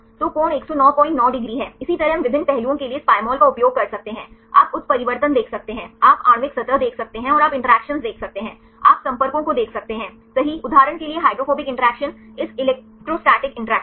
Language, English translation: Hindi, 9 degrees likewise we can use this Pymol for various aspects you can see the mutations, you can see the molecular surface and you can see the interactions, you can see the contacts right for example, hydrophobic interaction this electrostatic interactions